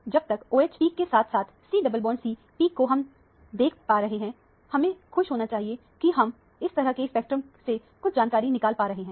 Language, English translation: Hindi, As long as we are able to see the OH peak as well as the C double bond C peak, we should be happy that we have got some information out of the spectrum of this kind